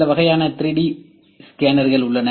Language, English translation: Tamil, So, How does 3D scanning works